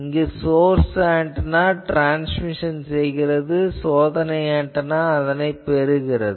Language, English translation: Tamil, So, then source antenna is illuminating and test antenna is getting